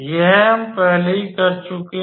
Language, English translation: Hindi, This is we have already done